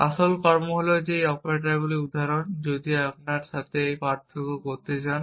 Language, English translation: Bengali, The real actions are the instances of these operators, if you want to distinguish between them